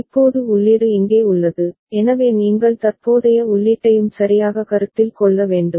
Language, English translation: Tamil, And now the input is here, so you have to consider present input as well right